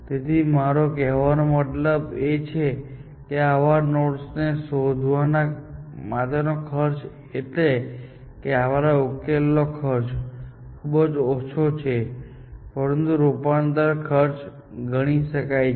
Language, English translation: Gujarati, So, that is what I mean by saying that the cost of finding such nodes, the cost of this solution is; you can consider it to be small, but that cost of transformation can be counted essentially